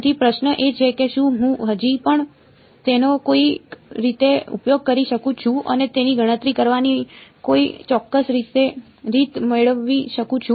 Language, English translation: Gujarati, So, the question is can I still use that somehow and get some accurate way of calculating it ok